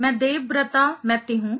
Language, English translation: Hindi, I am Debabrata Maiti